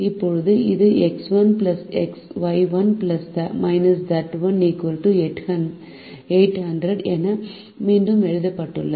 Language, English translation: Tamil, now this is rewritten as x one plus y one minus z one equals eight hundred